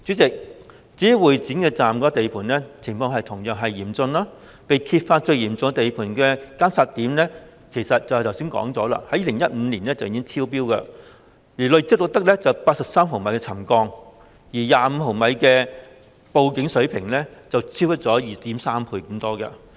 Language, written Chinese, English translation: Cantonese, 代理主席，會展站地盤的情況同樣嚴峻，正如剛才提到，報道指沉降最嚴重的監測點，早在2015年已經超標，累積錄得83毫米沉降，較25毫米的警報水平超出 2.3 倍。, Deputy President the situation at the site of Exhibition Centre Station is similarly severe . As I mentioned just now it was reported that the monitoring point seeing the most serious settlement had already exceeded the trigger level early in 2015 . The accumulated settlement recorded was 83 mm 2.3 times higher than the trigger level of 25 mm